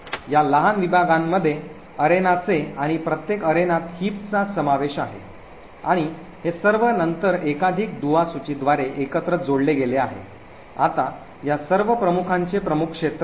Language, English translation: Marathi, These smaller segments comprises, of arenas and each arena comprises of heaps and all of these are then linked together by multiple link list, now the head of all of these list is the main arena